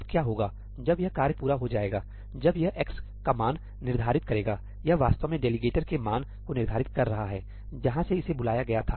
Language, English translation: Hindi, Now what will happen is, once this task is completed, when it sets the value of x, it is actually setting the value of the delegator, where it was called from